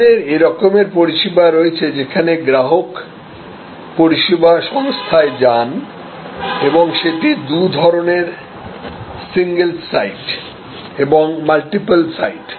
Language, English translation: Bengali, So, we have services where customer goes to the service organization and they are there are two types single site and multiple site